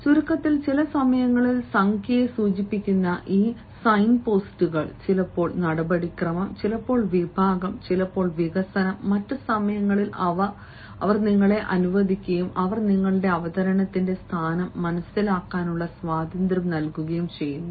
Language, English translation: Malayalam, in short, i want to say that these signposts, which actually signify sometimes the number, sometimes the procedure, sometimes the category, sometimes the development, and at other times they also tell you, they allow you and they actually give you a sort of liberty to understand the location of your presentation